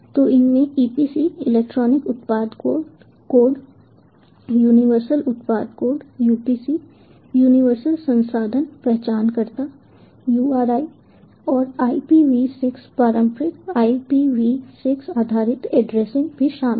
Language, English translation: Hindi, so these includes the epc electronic product code, universal product code, upc, universal resource identifier, uri and ipv six, the traditional ipv six based addressing as well